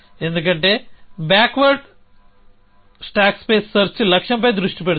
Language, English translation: Telugu, Because backward stack space search is focus on the goal